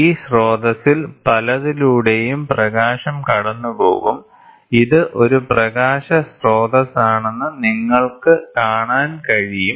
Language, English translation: Malayalam, So, the light will pass through several of these sources and you can see this is a light source